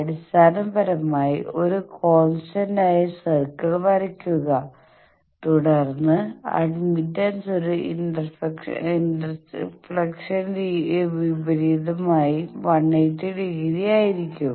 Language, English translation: Malayalam, Basically, draw a constant VSWR circle then and admittance will be 180 degree opposite to that an inflection